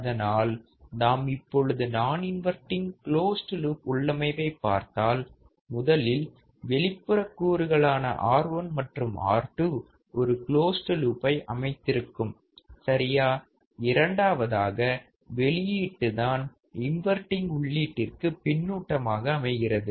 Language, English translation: Tamil, So, if I see the non inverting close loop configuration, firstly the external components R 1 and R 2 forms a closed loop right, first point is that external components R 1 and R 2 forms the closed loop, similar to the inverting amplifier